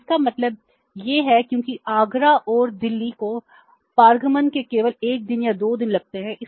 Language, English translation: Hindi, So, it means because Agra and Delhi it takes only maybe one day or two days in the transit